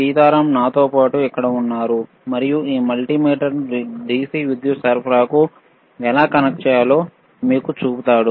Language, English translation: Telugu, Sitaram is here to accompany me and he will be showing you how to connect this multimeter to the DC power supply so, let us see